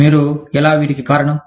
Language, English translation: Telugu, How do you, account for these